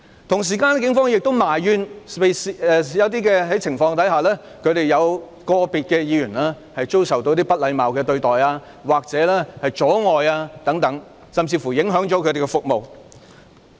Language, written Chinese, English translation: Cantonese, 另一方面，警方亦埋怨在某些情況下，有個別警員遭受不禮貌對待或阻礙等，甚至影響他們的服務。, On the other hand the Police also complained that in some cases individual policemen were treated impolitely or obstructed even to the extent of their service delivery being affected